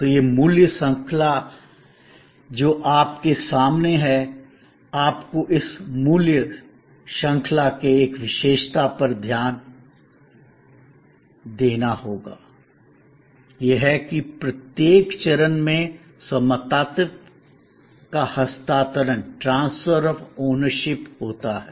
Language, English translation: Hindi, So, this value chain that is in front of you, you have to notice one particular feature of this value chain, is that at every stage there is a transfer of ownership